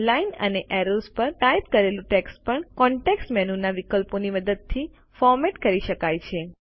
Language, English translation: Gujarati, Text typed on lines and arrows can also be formatted using options from the context menu